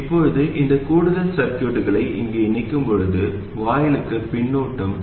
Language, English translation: Tamil, Now, when you connect this additional circuitry here, there is also feedback to the gate